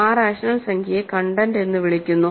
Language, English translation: Malayalam, It is a rational number which is not an integer